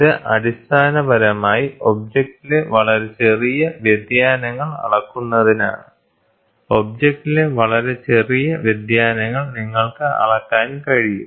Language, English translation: Malayalam, This is basically to measure very small deviations in the object, very small deviations in the object you will be able to measure